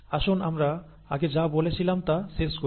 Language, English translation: Bengali, Let us finish up with what we said earlier